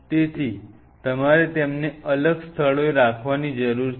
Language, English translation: Gujarati, So, you needed to keep them at separate spots